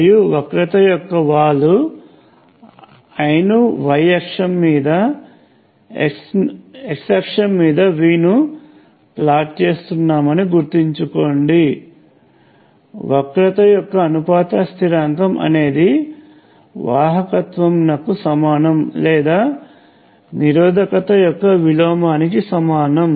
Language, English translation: Telugu, And the slope of this, remember we are plotting I on the y axis, V on the x axis; the proportionality constant is the conductance or the reciprocal of resistance